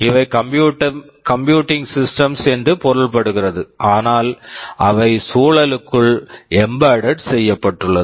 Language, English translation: Tamil, We mean these are computing systems, but they are embedded inside the environment